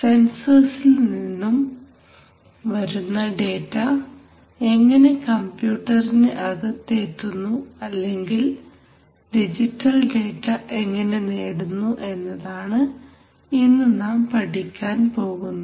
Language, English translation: Malayalam, So what we are going to study today is how the data which is fine, which is coming from the sensors gets into the computers or how digital data is going to be acquired, right, so that is the subject of the lesson today